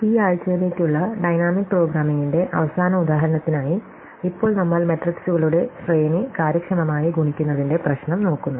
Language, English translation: Malayalam, For our last example of dynamic programming to this week, now we look at the problem of the efficiently multiplying the sequence of matrices